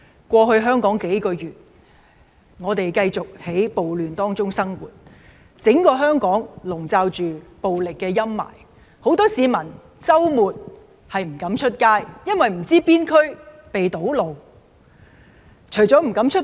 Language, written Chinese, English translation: Cantonese, 過去數個月以來，我們繼續在暴亂中生活，整個香港籠罩着暴力陰霾，很多市民周末不敢外出，因為不知道哪區會有堵路發生。, Over the past few months we have been living amid riots and Hong Kong has been overshadowed by violence . Many people dare not go out because they do not know if the roads in a certain district are blocked